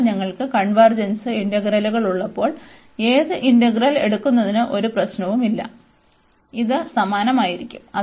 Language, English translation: Malayalam, So, in the case when we have convergence integrals, so there is no problem whether you take this one or this one, this will come of the same